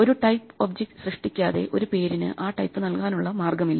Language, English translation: Malayalam, So, there is no way to assign a type to a name without creating an object of that type